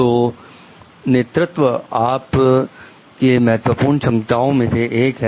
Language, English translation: Hindi, Then leadership becomes one of your important competencies